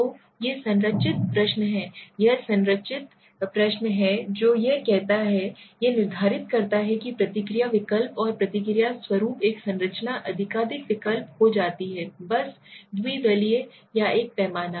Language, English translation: Hindi, So these are structured question, this is the structured question what he says, it specify the set of response alternatives and the response format a structure may be multiple choice just I told you dichotomous or a scale, right